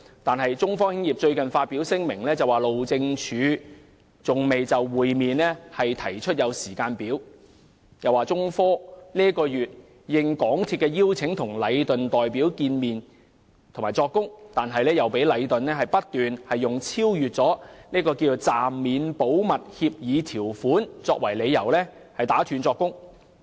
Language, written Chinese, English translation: Cantonese, 然而，中科最近發表聲明表示，路政署仍未就與其會面提出時間表，又指中科本月應港鐵公司邀請與禮頓建築有限公司的代表會面並作供，但卻被禮頓代表不斷以超越暫免保密協議條款為由打斷作供。, However China Technology has recently issued a statement saying that the Highways Department HyD has yet to schedule a meeting with it and that when it testified at a meeting with the representatives of Leighton Contractors Asia Limited Leighton this month at the invitation of MTRCL the representatives of Leighton interrupted its testimony repeatedly on the grounds that it was overstepping the bounds of the temporary waiver of the confidentiality agreement